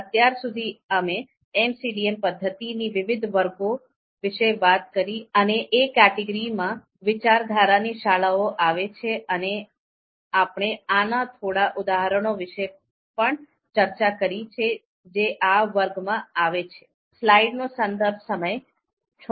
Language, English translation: Gujarati, So till now, we have talked about different categories of MCDA methods, schools of thoughts within those categories and we have also seen a few of the examples that a few of the examples of methods which come under these categories